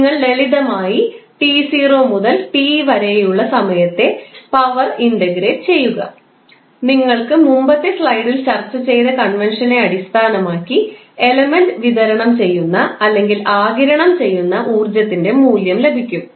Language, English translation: Malayalam, You have to just simply integrate the power with respect to time between t not to t and you will get the value of energy supplied or absorbed by the element based on the convention which we discussed in the previous slide